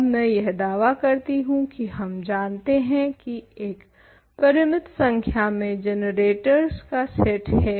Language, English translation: Hindi, Now, I claim that we know that there is in fact, a finite set of generators